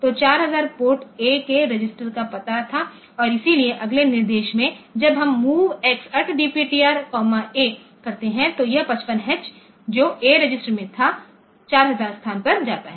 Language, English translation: Hindi, So, 4000 was the address of a register of port A and so, in the next instruction when we do move at the rate MOVX at the rate DPTR comma A, so, this 55H which was in a goes to the location 4000